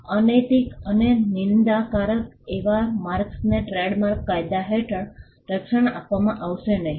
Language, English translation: Gujarati, Marks that are immoral and scandalous will not be offered protection under the trademark law